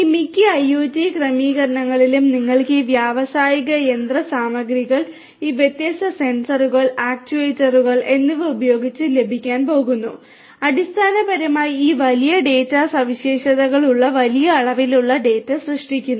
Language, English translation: Malayalam, In most of these IIoTs settings you are going to have this industrial machinery with these different sensors actuators and so on basically generating large volumes of data having all this big data characteristics